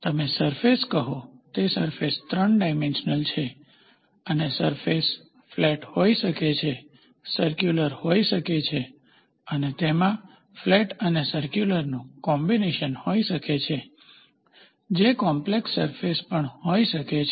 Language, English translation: Gujarati, Moment you say surfaces, these surfaces are 3 dimensional in existence and the surfaces can be flat, can be circular and it can have a combination of flat and circular, which leads to complex surfaces